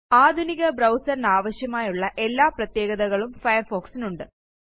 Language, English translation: Malayalam, Firefox has all the features that a modern browser needs to have